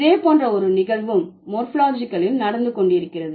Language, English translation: Tamil, Something similar is also happening in morphology